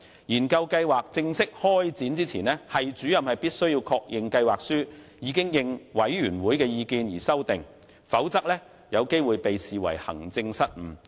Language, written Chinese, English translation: Cantonese, 研究計劃正式開展前，系主任須確認計劃書已應委員會的意見作出修訂，否則有機會被視為行政失誤。, Before the formal commencement of the research proposal the Head of Department must confirm the revisions made to the proposal according to the views expressed by the committee or else he stands a chance of being held accountable for maladministration